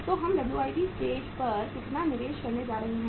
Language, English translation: Hindi, So how much investment we are going to make at the WIP stage